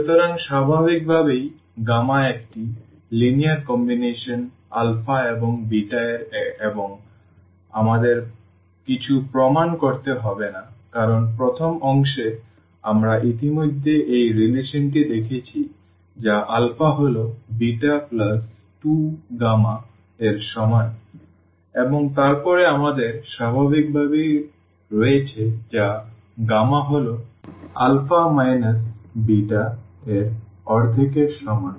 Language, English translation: Bengali, So, naturally gamma is a linear combination of alpha and beta and we do not have to prove anything because in the first part we have already shown this relation that alpha is equal to beta plus this 2 gamma and then we have naturally that gamma is equal to one half of alpha minus beta